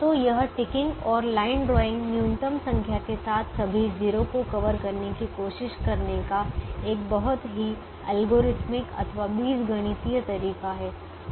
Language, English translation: Hindi, so this ticking and line drawing is a very algorithmic way of trying to cover all the zeros with minimum number of lines